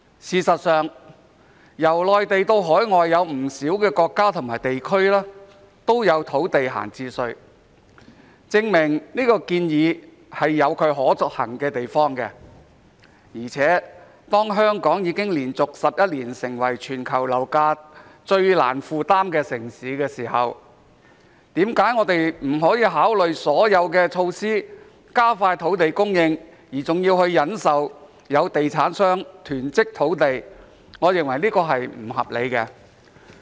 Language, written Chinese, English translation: Cantonese, 事實上，由內地到海外有不少國家和地區都有土地閒置稅，證明這項建議有其可行的地方，而且當香港已經連續11年成為全球樓價最難負擔的城市時，我們何不考慮所有措施，以加快土地供應，而要忍受有地產商囤積土地，我認為這是不合理的。, In fact idle land tax has been imposed in the Mainland as well as many overseas countries and regions which proves that this proposal is somehow feasible . What is more when Hong Kong has been dubbed the worlds most unaffordable city in terms of property prices for 11 consecutive years why must we tolerate land hoarding of developers rather than considering all measures to expedite land supply? . I consider this unreasonable